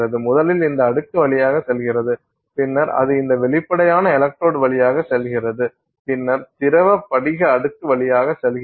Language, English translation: Tamil, So it goes past, so first goes through this layer, then it goes through this transparent electrode, then goes through this liquid crystal layer